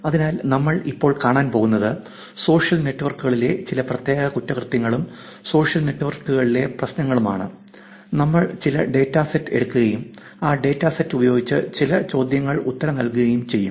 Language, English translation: Malayalam, So, what we will see now is some specific problem in social networks, crimes and issues on social networks and we will take some one data set and answer some questions with that data set